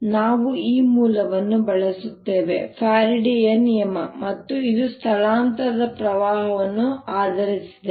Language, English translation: Kannada, so we use this source, faraday's law, and this was based on displacement current